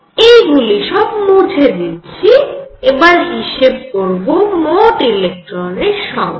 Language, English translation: Bengali, Let me now erase this and see what the total number of electrons is